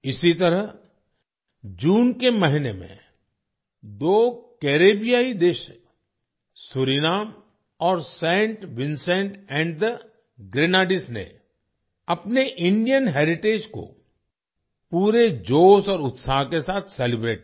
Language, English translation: Hindi, Similarly, in the month of June, two Caribbean countries Suriname and Saint Vincent and the Grenadines celebrated their Indian heritage with full zeal and enthusiasm